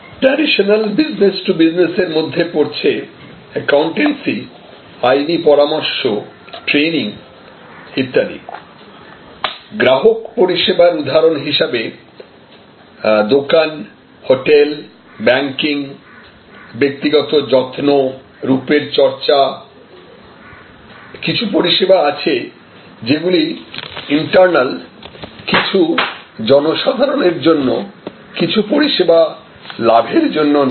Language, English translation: Bengali, Business to business, traditional domain, accountancy, legal advice, training, etc, consumer services, shops, hotels, banking, personal care, beauty care, some of them are internal, some are public services, some are not for profit services